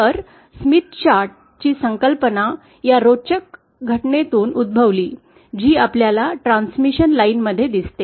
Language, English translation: Marathi, So, the concept of Smith chart arises from this interesting phenomenon that we see in transmission lines